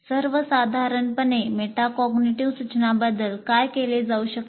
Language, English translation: Marathi, And in general what can be done about metacognitive instruction